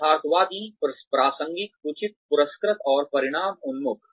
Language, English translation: Hindi, Realistic, relevant, reasonable, rewarding, and results oriented